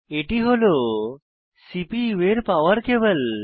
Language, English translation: Bengali, This is the power cable of the CPU